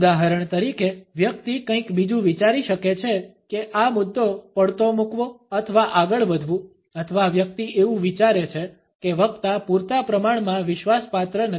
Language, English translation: Gujarati, For example, the person may be thinking of something else would like to drop the issue or move on or the person thinks that the speaker is not convincing enough